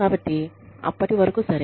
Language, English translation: Telugu, So, till that point, is okay